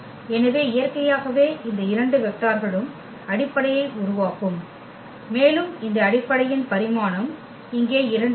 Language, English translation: Tamil, So, naturally these two vectors will form the basis and the dimension of this basis here will be 2